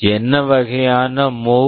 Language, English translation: Tamil, What kind of MOV